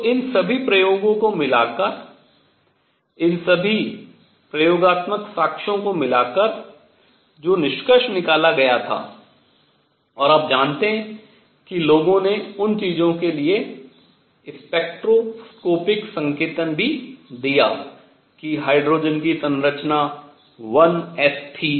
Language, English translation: Hindi, So, combining all these experimental, combining all these experimental evidences what was concluded and people also gave you know spectroscopic notation to things that hydrogen had a structure of 1 s